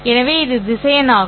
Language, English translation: Tamil, Now, these are the vectors